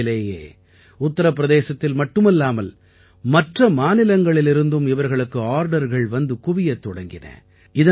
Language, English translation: Tamil, Soon, they started getting orders for their mats not only from Uttar Pradesh, but also from other states